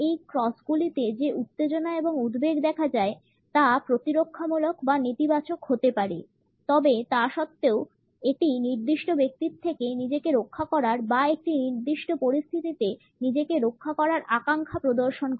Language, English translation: Bengali, The tension and anxiety which is visible in these crosses can be either protective or negative, but nonetheless it exhibits a desire to shield oneself from a particular person or to shield oneself in a given situation